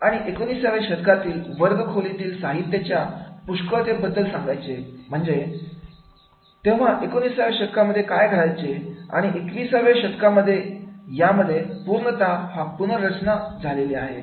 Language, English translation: Marathi, And to share an abundance of the nineteenth century materials within the classroom, and as a result of which what was happening into the nineteenth century, now in the twenty first century, it is becoming totally reform